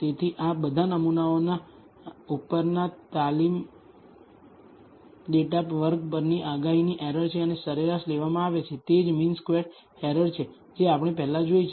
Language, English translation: Gujarati, So, this is the prediction error on the training data square over all the samples and taken the average, that is the mean squared error that we have seen before